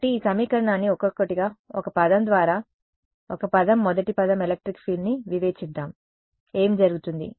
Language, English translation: Telugu, So, let us just discretize this equation one by one, one term by one term first term electric field, what happens